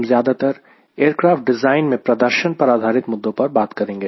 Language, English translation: Hindi, we will be mostly talking about performance related issues in designing an aircraft